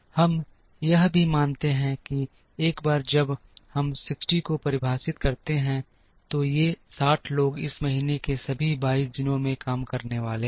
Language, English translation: Hindi, We also assume that once we define 60, these 60 people are going to work on all the 22 days of this month